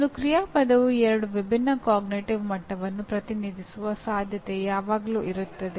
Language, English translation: Kannada, There is always a possibility one action verb representing two different cognitive levels